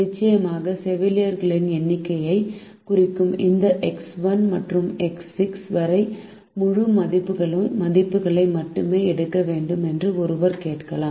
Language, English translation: Tamil, of course one may ask that this x one to x six, representing the number of nurses, should also take only integer values